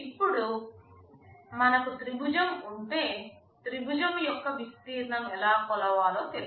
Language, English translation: Telugu, Now, if we have a triangle you know how to measure the area of the triangle